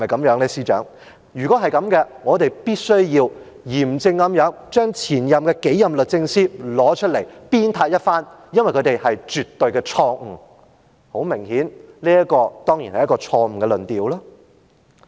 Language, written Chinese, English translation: Cantonese, 如果是這樣，我們必須嚴正地將前數任律政司司長叫出來鞭撻一番，因為他們是絕對錯誤的——很明顯，這個當然是錯誤的論調。, If so we should solemnly summon the last several Secretaries for Justice and castigate them because they were abjectly wrong . Most obviously and certainly this is a false argument